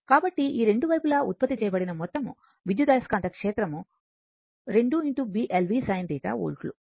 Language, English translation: Telugu, So, two sides therefore, total EMF generated will be 2 B l v sin theta volts, right